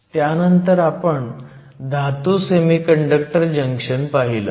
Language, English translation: Marathi, We then looked at metal semiconductor junctions